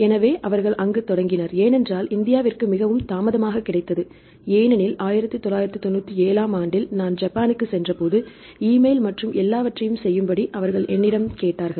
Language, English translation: Tamil, So, they started there because familiar trying to use there right because India we got very late right because when I visited Japan in 1997, they asked me to do everything with the email and all